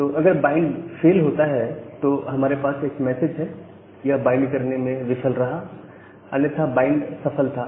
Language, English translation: Hindi, So if the bind fails, we are having a error message that it is fail to bind that otherwise, the bind was successful